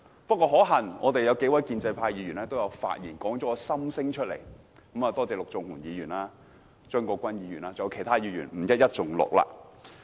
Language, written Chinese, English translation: Cantonese, 不過，可幸有數位建制派議員的發言道出了我的心聲，多謝陸頌雄議員、張國鈞議員和其他議員，不一一盡錄。, Fortunately however several pro - establishment Members have spoken what I would like to say . Many thanks to Mr LUK Chung - hung Mr CHEUNG Kwok - kwan and other Members whose names I will not enumerate here